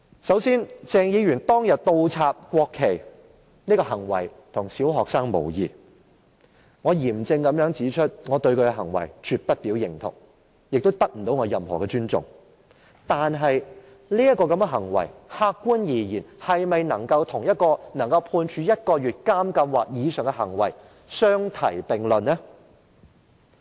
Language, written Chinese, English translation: Cantonese, 首先，鄭議員當天倒插國旗的行為跟小學生無異，我嚴正指出我對他的行為絕對不表認同，也不能得到我的尊重，但客觀而言，這種行為是否可以與足以被判處入獄1個月或以上的行為相提並論呢？, First Dr CHENGs act of inverting the national flags is as childish as a primary pupil . I solemnly state that I totally disagree with his conduct and such conduct will not gain my respect . Yet objectively speaking could such conduct be lumped together with conduct that warrants imprisonment of one month or more?